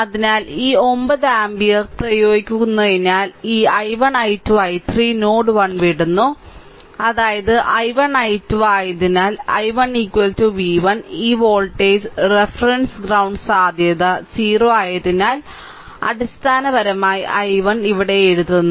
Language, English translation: Malayalam, So, because we are applying this 9 ampere is entering this i 1 i 2 i 3 are leaving the node 1; that means, i 1 i 2 I told you therefore, i 1 i 1 is equal to this is v 1 this voltage reference ground potential 0